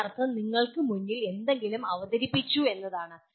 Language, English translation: Malayalam, That means something is presented to you